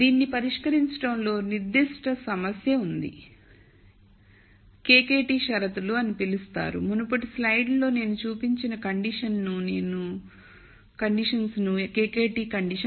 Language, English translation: Telugu, There is a speci c problem in solving this what are called the KKT conditions the conditions that I showed in the previous slide are called the KKT conditions